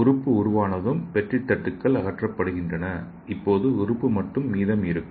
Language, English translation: Tamil, Once the organ is constructed, the petri dishes are removed and all that left is the organ